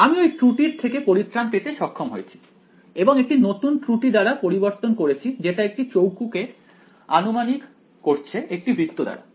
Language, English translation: Bengali, I get rid of that error and I replace it by a new error which is approximating a square by a circle